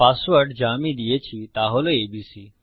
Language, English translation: Bengali, Say the password is abc